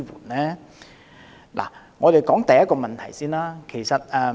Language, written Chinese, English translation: Cantonese, 我們首先看看第一個問題。, Let us first look at the first question